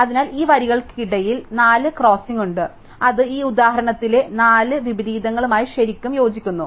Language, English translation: Malayalam, So, there are 4 crossing is between these lines and that really corresponds to four inversions in this example